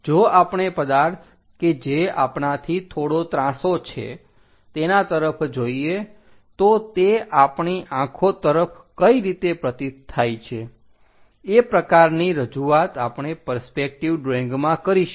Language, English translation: Gujarati, If we are looking a object which is slightly incline to us how it really perceives at our eyes this similar kind of representation we go with perspective drawing